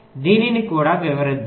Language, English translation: Telugu, lets also illustrate this